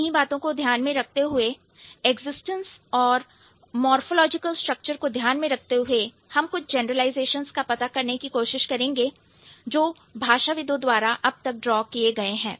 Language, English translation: Hindi, Keeping these things in mind, so existence and morphological structure, we'll try to find out some generalizations that linguists have accounted for so far